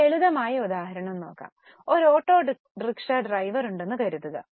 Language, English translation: Malayalam, We are very simple example let's suppose there is an auto rickshaw driver